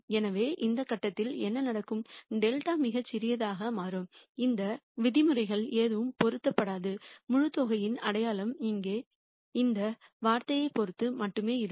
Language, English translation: Tamil, So, at some point what will happen is delta will become so small that none of these terms will matter the sign of the whole sum will be only depending on this term here